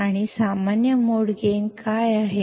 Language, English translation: Kannada, And what is the common mode gain